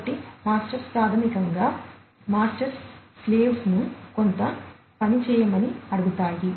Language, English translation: Telugu, So, masters basically in the same way as masters ask the slaves to do certain work